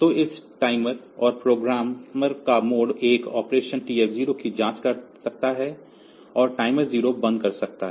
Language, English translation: Hindi, So, that is the mode 1 operation of this timer, and programmer can check TF 0 and stop the timer 0